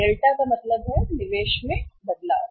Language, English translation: Hindi, Delta means change in the investment